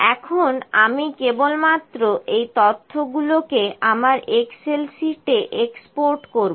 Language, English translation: Bengali, Now, I will just export this data to my excel sheet